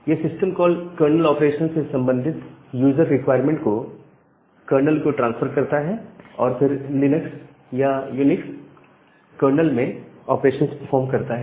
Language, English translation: Hindi, So, the system call transfers some user requirement to the kernel corresponding kernel operations and performed operations at the Linux or UNIX kernel